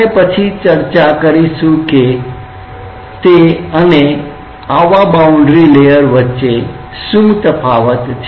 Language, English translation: Gujarati, We will discuss later that what is the difference between this and the boundary layer as such